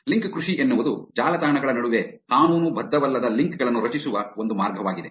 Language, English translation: Kannada, Link farming is a way which non legitimate links are created between the websites